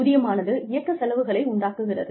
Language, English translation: Tamil, Salary goes towards, the operational cost